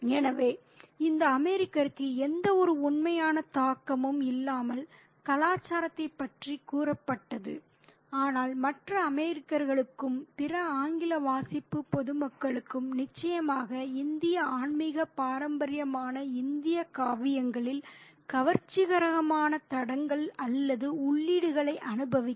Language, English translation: Tamil, So, so that cultural slice has been offered to this American with no real impact but to other Americans and other English reading public would definitely enjoy the fascinating forays or entries into the Indian epics, the Indian spiritual tradition